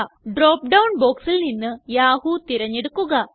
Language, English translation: Malayalam, Select Yahoo from the drop down box